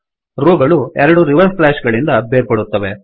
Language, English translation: Kannada, The rows are separated by two reverse slashes